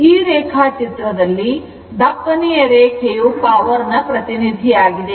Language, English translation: Kannada, This thick line is the power expression